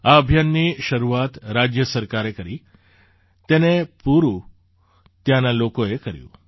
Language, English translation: Gujarati, This campaign was started by the state government; it was completed by the people there